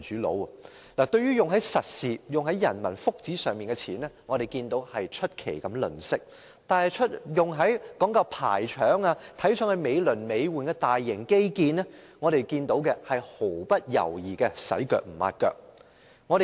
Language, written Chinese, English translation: Cantonese, 政府用在實事及人民福祉上的錢出奇地吝嗇，但用在講究排場、看來美輪美奐的大型基建上的錢卻是毫不猶豫的"洗腳唔抹腳"。, The Government is surprisingly miserly in its spending on concrete measures and peoples well - being . But it does not hesitate to spend money on taking forward lavish and elaborate infrastructure projects of a massive scale without considering their financial implication